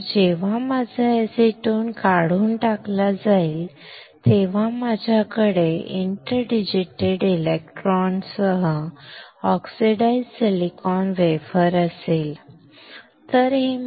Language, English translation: Marathi, So, when my acetone is stripped, I will have an oxidized silicon wafer with interdigitated electrons, right